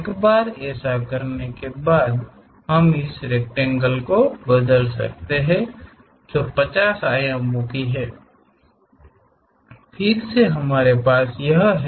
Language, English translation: Hindi, Once that is done, we can convert this rectangle which 50 dimensions, again we have